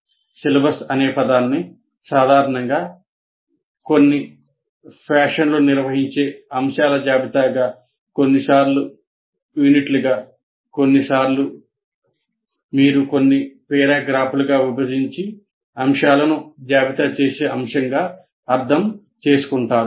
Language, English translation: Telugu, Here the moment you utter the word syllabus, what you have is a list of topics organized in some fashion, sometimes as units or sometimes as based on the topic, you divide them into some paragraphs and list the topics